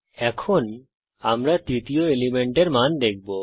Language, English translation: Bengali, We shall now see the value of the third element